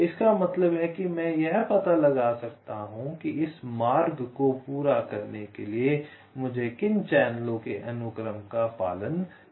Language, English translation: Hindi, this means i can find out which sequence of channels i need to follow to complete this routing